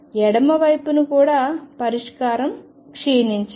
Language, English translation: Telugu, On the left hand side the solution should also decay